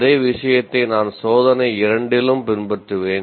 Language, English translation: Tamil, Same thing, let's say I follow test 2